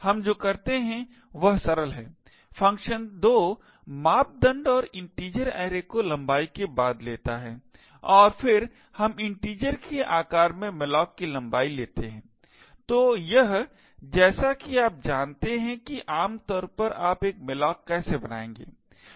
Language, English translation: Hindi, What we do is simple the function takes 2 parameters and integer array followed by the length and then we malloc length into the size of integer, so this as you would know would be typically how you would create a malloc